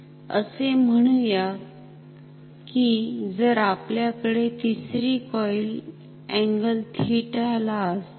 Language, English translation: Marathi, Say if we have the 3rd coil at an angle theta